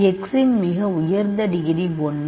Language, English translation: Tamil, The highest degree of x is 1